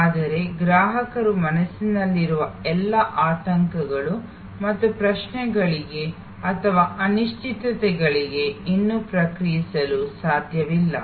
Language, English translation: Kannada, But, still cannot respond to all the anxieties and queries or uncertainties in customer's mind